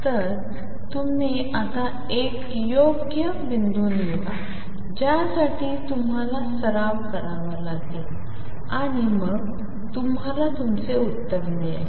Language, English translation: Marathi, So, you choose a suitable point now for that you have to practice and you then match and then you get your answer